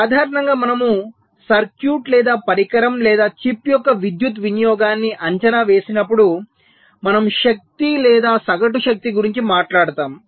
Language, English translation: Telugu, so normally, when we evaluate the power consumption of a circuit or a device or a chip, we talk about the energy or the average power